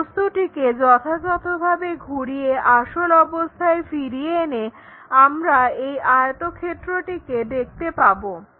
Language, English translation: Bengali, Actually, that object by rotating properly bringing it back to original thing we will see this rectangle, ok